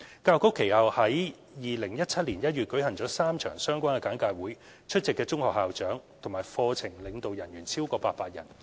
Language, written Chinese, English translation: Cantonese, 教育局其後於2017年1月舉行了3場相關的簡介會，出席的中學校長和課程領導人員超過800人。, Subsequently three briefing sessions were conducted by the Education Bureau in January 2017 with over 800 secondary school principals and curriculum leaders attending